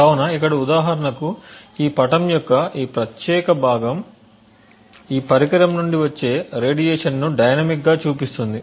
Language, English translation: Telugu, So for example over here this particular part of this figure shows dynamically the radiation from this device